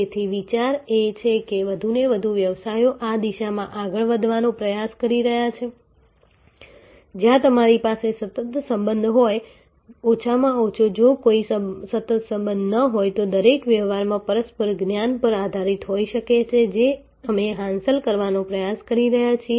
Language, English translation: Gujarati, So, the idea therefore, is that more and more businesses are trying to move in this direction, where you have better a continuous relationship at least if there is no continuous relationship, each transaction is based on mutual knowledge that is what we are trying to achieve